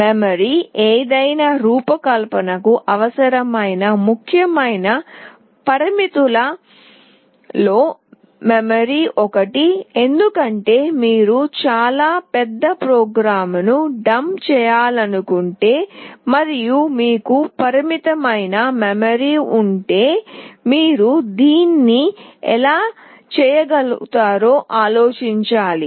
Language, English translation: Telugu, The memory; memory is one of the vital important parameter that is required for any design, because if you want to dump a very large program and you have limited memory you need to think how will you do it